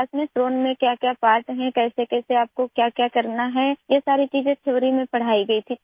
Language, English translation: Urdu, In the class, what are the parts of a drone, how and what you have to do all these things were taught in theory